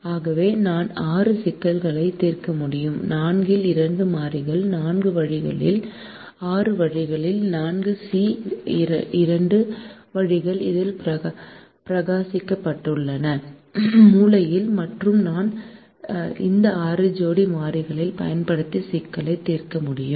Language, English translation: Tamil, i can choose two variables out of four in six ways: four, c, two ways that have been shorn in this corner, and i can solve the problem using these six pairs variables